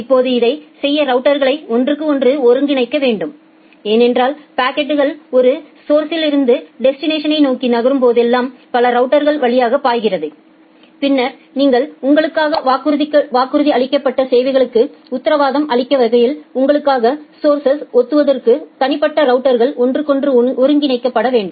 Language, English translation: Tamil, Now to do that the routers need to coordinate with each other; because the packet is flowing through multiple routers whenever it is moving from one source to another destination and then individual routers need to coordinate with each other to reserve the resources for you such that it can guarantee the service that is promised to you